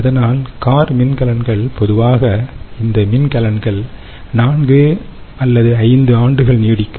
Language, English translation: Tamil, so the car batteries i mean they typically these battery is lasts four, five years actually in car